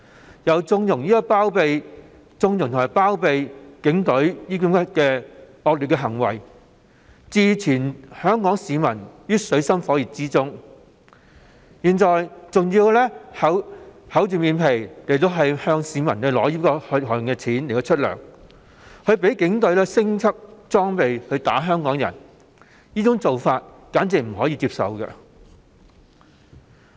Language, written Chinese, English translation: Cantonese, 此外，她又縱容及包庇警隊的惡劣行為，置全港市民於水深火熱之中，現在更要厚着臉皮動用市民的血汗錢支付薪金，讓警隊提升裝備毆打香港人，這做法完全不能接受。, In the meantime she condoned and harboured the wicked deeds of the Police Force causing the people of Hong Kong great hardship . And now she has the brass neck to use peoples hard - earned money for making salary payments and upgrading the Police Forces equipment to facilitate its battering of Hong Kong people